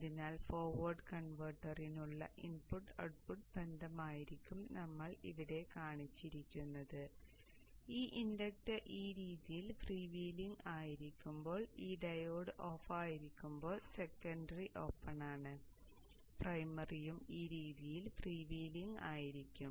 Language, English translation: Malayalam, So this would be the the input output relationship for the forward converter that we have drawn shown here and when this inductor when the inductor when the inductor here is freewheeling in this fashion, this diode is off, secondary is open, the primary is also freewheeling in this fashion